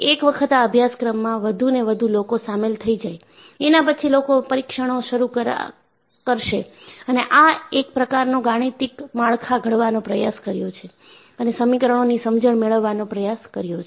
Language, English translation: Gujarati, Once, more and more people get involved, people conduct tests and try to formulate a mathematical framework and try to capture there understanding as equations